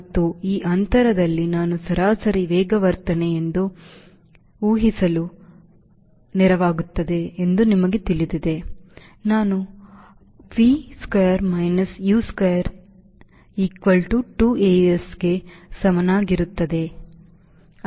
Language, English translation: Kannada, if i assume a to be an average acceleration, a, i can find out v square minus u square equal to two a s